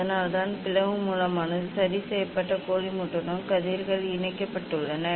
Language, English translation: Tamil, that is why slit source are rays are attached with the collimator that is fixed